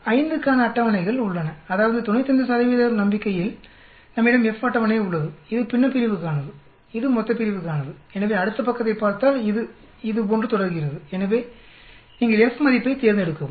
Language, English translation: Tamil, 5 that means in 95 percent confidence we have F table, this is for the numerator and this is for the denominator, so this if we looked at the next page it continues like this so you select the F value